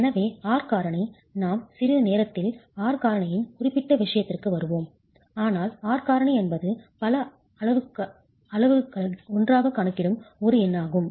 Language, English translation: Tamil, So the R factor, we will come to the specific of the R factor in a while but the R factor is one number that accounts for several parameters together